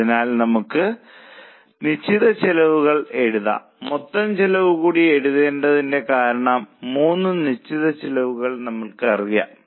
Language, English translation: Malayalam, We can even write the total fixed costs because we know the three fixed costs